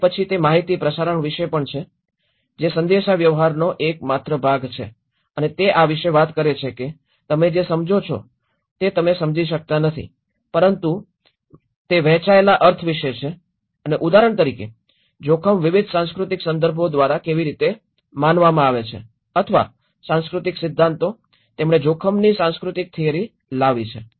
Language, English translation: Gujarati, Then it is also about the information transmission, is the only one part of communication and it also talks about itís not about what you understand what you understand, but itís about the shared meaning and like for example how risk is perceived by different cultural contexts or cultural theories, he brought about the cultural theory of risk